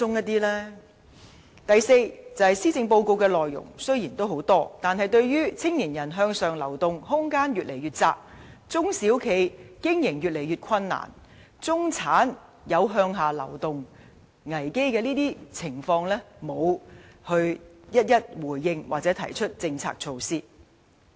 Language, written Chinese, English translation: Cantonese, 第四，雖然施政報告內容豐富，但對於青年人向上流動空間越見狹窄、中小企經營日益困難，以及中產面對向下流動危機等情況，政府卻沒有逐一回應或提出政策、措施。, Fourth despite the rich content the Policy Address does not respond or propose any policy or measure concerning such issues as shrinking room for upward social mobility for young people increasing business difficulties for SMEs and the risks of slipping down the social ladder among the middle class